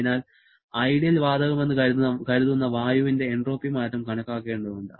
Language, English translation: Malayalam, So, we have to calculate the entropy change of air assuming to ideal gas